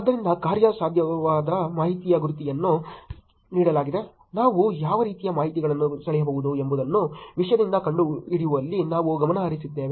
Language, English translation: Kannada, So, given the goal was actionable information, we were actually focused on finding out from the content what kind of information can be drawn